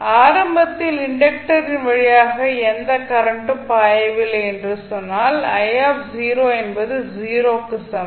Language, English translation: Tamil, So, if you say that initially the there is no current flowing through the inductor that means I naught equals to 0